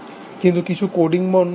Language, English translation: Bengali, some coding or something